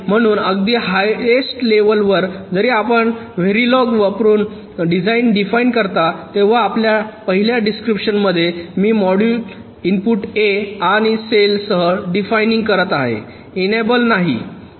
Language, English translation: Marathi, so even at the highest level, when you specify the design using very log, in the first description i am defining the module with inputs a and cell, no enable